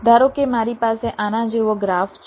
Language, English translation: Gujarati, suppose i have a graph like this